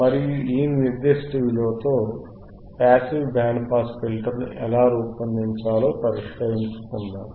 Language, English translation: Telugu, And let us solve how we can design and a passive band pass filter with this particular value